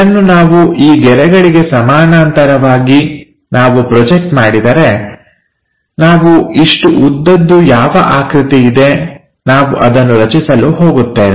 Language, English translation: Kannada, If we do that parallel to these lines, we are going to construct whatever this length we have that length here, and there is a height that height we are going to see here